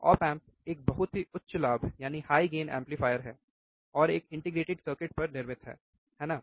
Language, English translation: Hindi, Op amp is a very high gain amplifier fabricated on integrated circuit, right